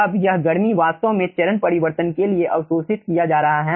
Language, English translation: Hindi, now this heat is actually being observed for change of phase